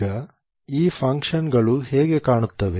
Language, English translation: Kannada, Now how do these functions look like